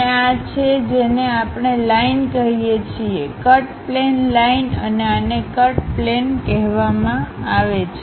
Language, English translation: Gujarati, And this one what we call line, cut plane line and this one is called cut plane